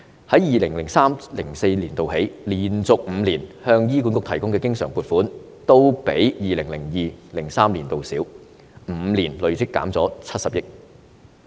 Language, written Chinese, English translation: Cantonese, 從 2003-2004 年度起，連續5年向醫管局提供的經常撥款，都比 2002-2003 年度少 ，5 年累積減少了70億元。, In the five years since 2003 - 2004 the year - on - year recurrent funding allocated to HA was less than the level in 2002 - 2003 and the accumulated deduction was 7 billion in five years